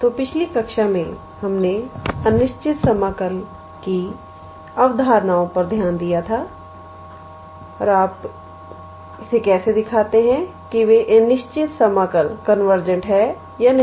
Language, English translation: Hindi, So, in the last class we looked into the concepts of Improper Integrals and how do you show that those improper integrals are convergent or not